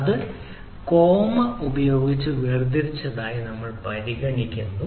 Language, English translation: Malayalam, so what we are considering that it is ah, it is separated by a, a by a comma